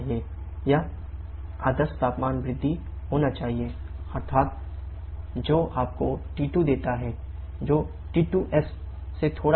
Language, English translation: Hindi, It should be the ideal temperature rise that is T2 T1, actual temperature rise T2 T1 which gives you T2 which will be slightly greater than T2s